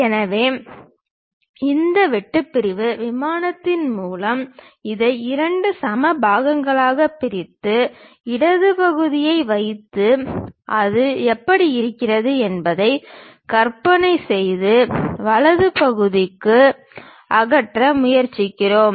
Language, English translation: Tamil, So, we split this into two equal parts through this cut sectional plane, keep the left part, try to visualize how it looks like and remove the right side part